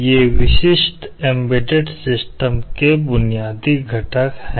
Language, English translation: Hindi, These are the basic components of a typical embedded system